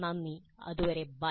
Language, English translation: Malayalam, Thank you until then